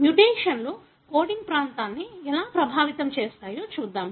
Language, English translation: Telugu, Let us come back and look into how the mutations can affect the coding region